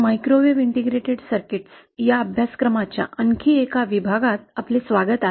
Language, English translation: Marathi, Welcome to another module of this course ‘Microwave integrated circuits’